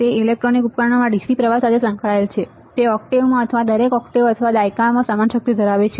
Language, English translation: Gujarati, It is associated with the DC current in electronic devices; it has same power content in an octave or in each octave or decade right